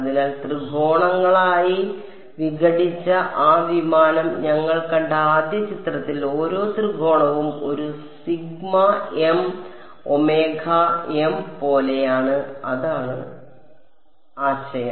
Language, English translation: Malayalam, So, in that first picture where we saw that aircraft which was sort of broken up into triangles, each triangle is like this one sigma m omega m that is the idea